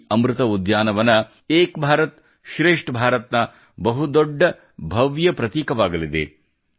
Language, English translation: Kannada, This 'Amrit Vatika' will also become a grand symbol of 'Ek Bharat Shresth Bharat'